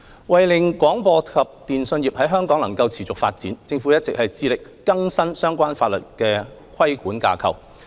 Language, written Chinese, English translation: Cantonese, 為了令廣播及電訊業在香港能持續發展，政府一直致力更新相關法律的規管架構。, To promote the sustainable development of the broadcasting and telecommunications sectors in Hong Kong the Government has been committed to modernizing the regulatory framework set out in the relevant legislation